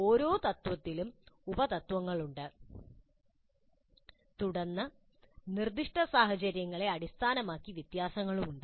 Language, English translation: Malayalam, Because under each principle there are sub principles and then there are variations based on the specific situations